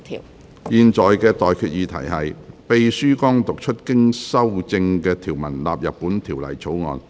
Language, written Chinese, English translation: Cantonese, 我現在向各位提出的待決議題是：秘書剛讀出經修正的條文納入本條例草案。, I now put the question to you and that is That the clauses as amended just read out by the Clerk stand part of the Bill